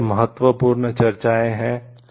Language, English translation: Hindi, So, these are important discussions